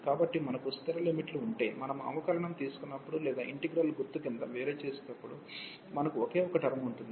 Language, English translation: Telugu, So, if we have the constant limits, we will have only the one term, when we take the derivative or we differentiate under integral sign